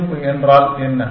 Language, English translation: Tamil, What is the savings